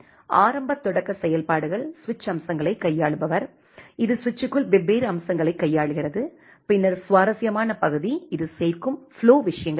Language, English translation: Tamil, The initial the initial functionalities the a switch feature handler which handle different features inside the switch and then the interesting part is this add flow things